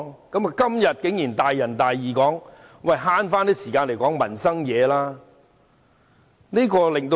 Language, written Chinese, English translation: Cantonese, 今天，他竟然大仁大義地說要節省時間，討論民生事項。, Yet today he dares take the moral high ground to lecture us on saving time for discussions about livelihood issues